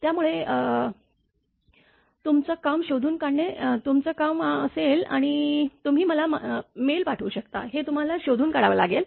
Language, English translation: Marathi, So, your job will be to find out and you have to find out you can send me the mail